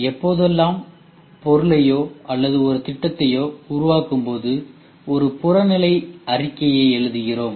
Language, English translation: Tamil, So, whenever we make a product or when we make a project we write a objective statement